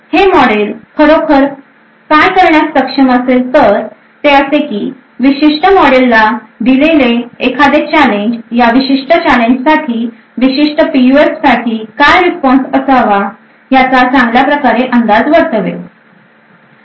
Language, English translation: Marathi, So what this model would be actually capable of doing is that given a particular challenge this particular model could create a very good estimate of what the response for a particular PUF should be for that specific challenge